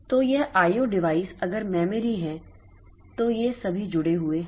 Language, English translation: Hindi, O device then this memory so all of them are connected